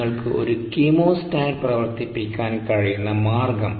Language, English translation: Malayalam, there is no point in operating the chemostat there